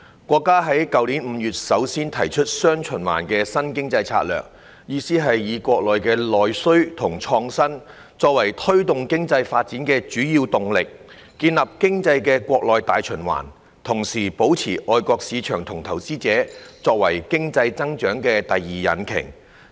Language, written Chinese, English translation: Cantonese, 國家在去年5月首次提出"雙循環"新經濟策略，意思是以國內內需及創新，作為推動經濟發展的主要動力，建立經濟的國內大循環，同時保留外國市場和投資者作為經濟增長的第二引擎。, Our country first put forward the new dual circulation economic strategy last May which means using domestic demand and innovation as the major driving force of economic development and establishing an economic domestic circulation while keeping overseas markets and investors as the second engine of economic growth